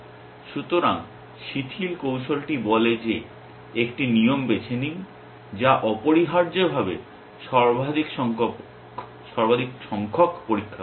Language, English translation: Bengali, So, the lax strategy says that choose a rule that makes the maximum number of tests essentially